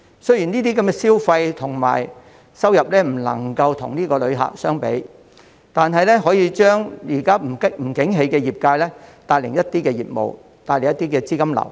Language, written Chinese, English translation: Cantonese, 雖然這些消費和收入不能與旅客相比，但可以為現時不景氣的業界帶來一些業務和資金流。, Although the sales and revenues generated from local tourists are incomparable to those from the inbound tourists they can bring in some business and cash for the hard - hit sector